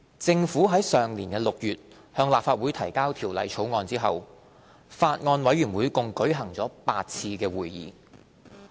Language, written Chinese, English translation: Cantonese, 政府於上年6月向立法會提交《條例草案》後，法案委員會共舉行了8次會議。, After the Bill was introduced into the Legislative Council in June last year the Bills Committee had held a total of eight meetings